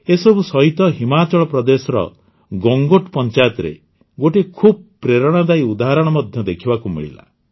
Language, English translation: Odia, In the midst of all this, a great inspirational example was also seen at the Gangot Panchayat of Himachal Pradesh